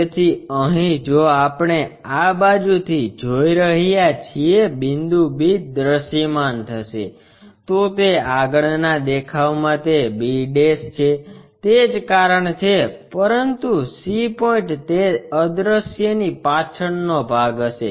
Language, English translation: Gujarati, So, here if we are looking from this side b point will be visible that is the reason in the front view it is b', but c point will be at backside of that invisible